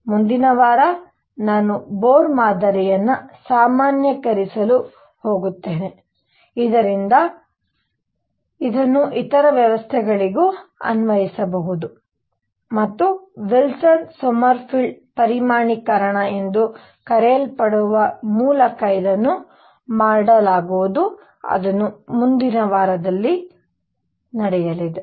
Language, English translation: Kannada, Next week I am going to generalize Bohr model to, so that it can be applied to other systems also and this is going to be done through what is known as Wilson Sommerfeld quantization that is going to be done next week